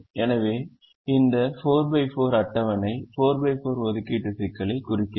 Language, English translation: Tamil, so this four by four table represents a four by four assignment problem